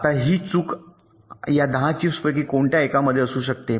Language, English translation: Marathi, now, this fault can be in any one of these ten chips, right